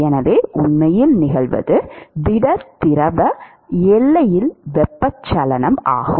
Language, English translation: Tamil, So, what really occurs is the convection at the solid liquid boundary